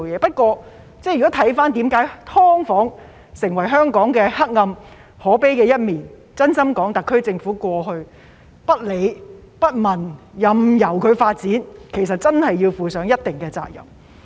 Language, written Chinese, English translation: Cantonese, 不過，看到"劏房"成為香港的黑暗可悲一面，真心說，特區政府過去不理不問，任由"劏房"發展，其實真的要負上一定的責任。, However noticing that SDUs have become a dark and pathetic feature of Hong Kong I truly think that the SAR Government should really be held responsible for ignoring the problem and allowing SDUs to develop without any regulation in the past